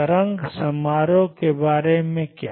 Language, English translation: Hindi, What about the wave function